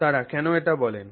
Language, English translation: Bengali, So, why do they say that